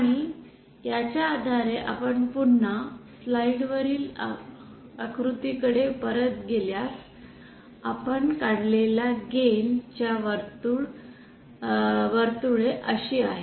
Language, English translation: Marathi, And based on this if you again go back to the diagram on the slide then gain circles that we have drawn are like this